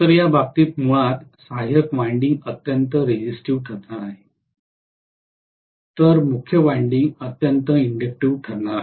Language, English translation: Marathi, So in this case basically auxiliary winding is going to be highly resistive, whereas main winding is going to be highly inductive